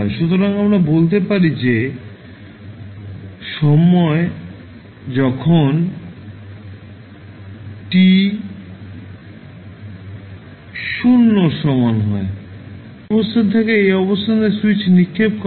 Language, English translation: Bengali, So, we can say that when time t is equal to 0 the switch is thrown from this position to this position